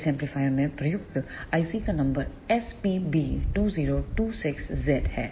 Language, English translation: Hindi, The number of the IC used in this amplifier is SPB2026Z